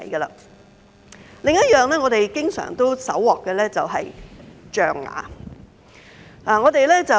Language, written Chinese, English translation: Cantonese, 另一種我們經常搜獲的是象牙。, Another commonly seized item is ivory